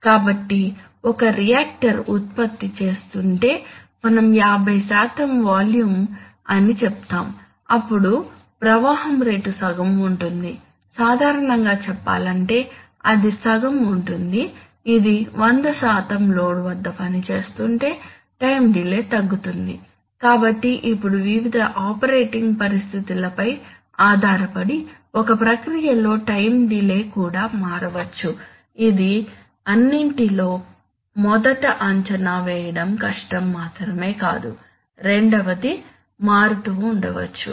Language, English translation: Telugu, So if I, if a reactor is producing, is producing something at, let us say fifty percent volume then the flow rate will be half of, generally speaking, it will be half of, if it is working at one hundred percent load, so the, so the time delay will reduce, so now depending on various operating conditions the time delay in a process can even vary, not only the first of all it may be, it may be difficult to assess secondly it may also vary